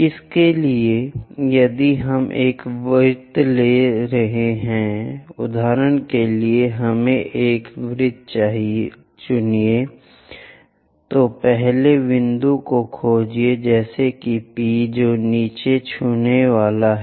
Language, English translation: Hindi, So, if we are taking a circle, for example, let us pick a circle, locate the first point something like P which is going to touch the bottom